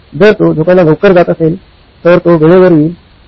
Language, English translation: Marathi, If he is early to go to sleep, he will be on time